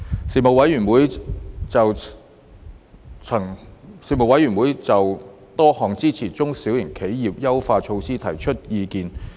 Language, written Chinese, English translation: Cantonese, 事務委員會曾就多項支援中小企的優化措施提出意見。, The Panel gave views on a range of enhancement measures for supporting small and medium enterprises SMEs